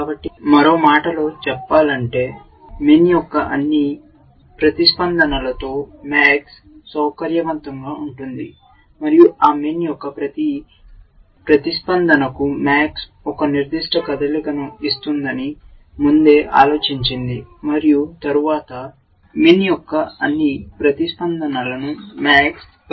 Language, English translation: Telugu, So, in other words, max is comfortable with all of min’s responses, and for each of those min’s responses max has thought ahead that I will make one particular move and then, max is taken into account, all of min’s responses